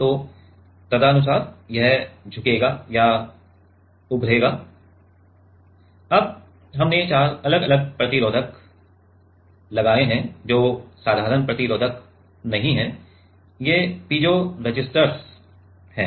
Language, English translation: Hindi, So, accordingly it will bend or bulge now we have put four different resistors which are not simple resistors these are piezoresistors